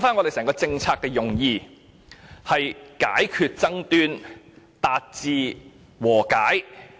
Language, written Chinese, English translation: Cantonese, 回想一下政策的用意，是為解決爭端，達至和解。, Let us revisit the policy intent it is for resolving disputes and reaching settlement